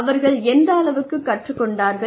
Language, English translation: Tamil, How much have they learned